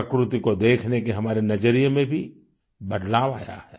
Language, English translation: Hindi, Our perspective in observing nature has also undergone a change